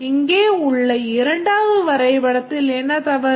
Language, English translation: Tamil, What's the mistake in this diagram